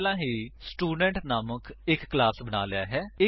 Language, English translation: Punjabi, I have already created a class named Student